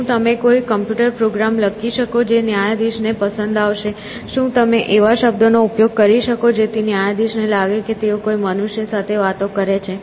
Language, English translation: Gujarati, Can you write a computer program which will cool the judge, if you want to use the term, to thinking that the judge is talking to a human being